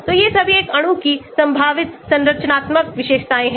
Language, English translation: Hindi, so all these are possible structural features of a molecule